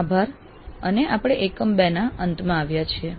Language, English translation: Gujarati, Thank you and we come to the end of module 2